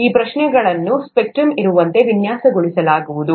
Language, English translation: Kannada, These, questions would be designed such that they are all across the spectrum